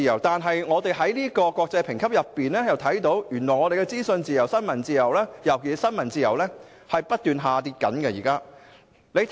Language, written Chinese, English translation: Cantonese, 但是，從有關的國際評級可見，香港的資訊自由及尤其是新聞自由，現正不斷下跌。, However it can been seen from the relevant international ratings that Hong Kongs freedom of information and particularly freedom of the press are currently declining